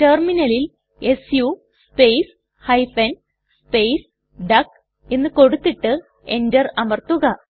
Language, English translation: Malayalam, Enter the command su space hyphen space duck on the Terminaland press Enter